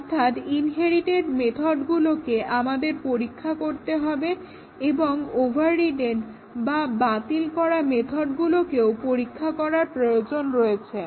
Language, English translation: Bengali, So, the inherited methods we need to test and also the overridden methods we need to test